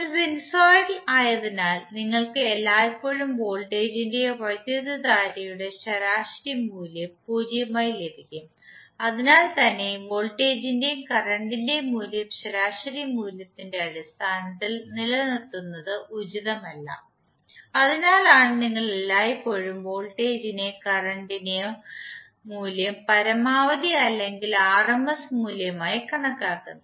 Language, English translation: Malayalam, Being a sinusoidal you will always get the average value of either voltage or current as 0, so that’s why it is not advisable to keep the value of voltage and current in terms of average value that’s why you will always see either the value of voltage and current is specified as maximum or rms value